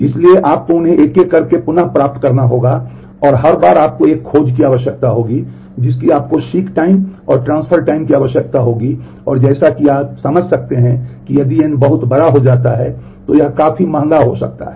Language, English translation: Hindi, So, you have to retrieve them one by one and every time you will need a search you will need seek and transfer time and this can as you can understand could be quite expensive if n turns out to be large which will often be the case